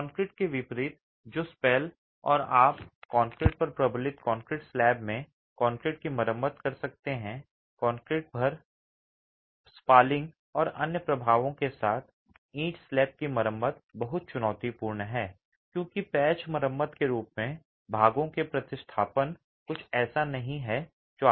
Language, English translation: Hindi, Unlike concrete that spalls and you can repair concrete in a reinforced concrete slab that is affected by corrosion with spalling and other effects on the concrete, repair of a brick slab is very challenging because replacement of parts as a patch repair is not something that is simple